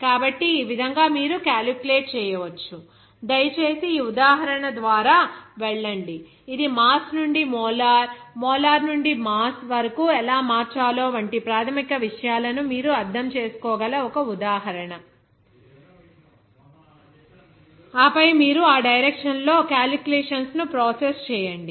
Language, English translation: Telugu, So, in this way, you can calculate, please go through this example, that is one example where you can understand the basic things how to convert it from mass to molar, molar to mass like this way, and then you have to go to process calculations in that direction